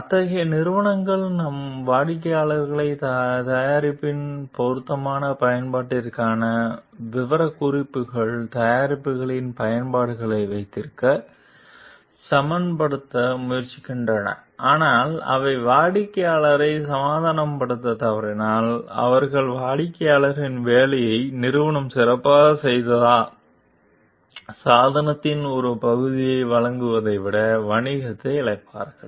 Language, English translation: Tamil, Such companies tries to convince their customers to keep their applications of the product within the specifications for the product s appropriate use, but if they fail to convince the customer, they will forfeit the business rather than supply a part of the device that will not perform the company the customer s job well